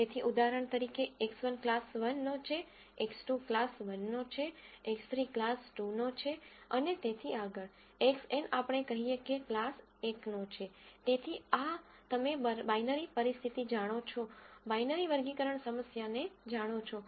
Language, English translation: Gujarati, So for example, X 1 belongs to class 1, X 2 belongs to class 1, X 3 belongs to class 2 and so on, Xn belongs to let us say class 1